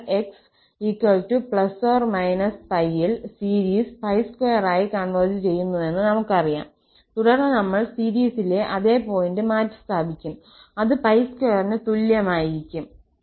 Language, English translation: Malayalam, So, we know that at x is equal to plus minus pi, the series converges to pi square and then we will substitute the same point in the series and that will be set equal to pi square